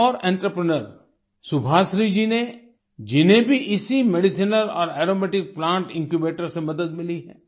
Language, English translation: Hindi, Another such entrepreneur is Subhashree ji who has also received help from this Medicinal and Aromatic Plants Incubator